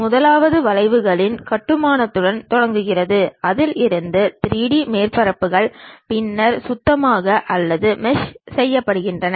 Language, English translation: Tamil, The first one begins with construction of curves from which the 3D surfaces then swept or meshed throughout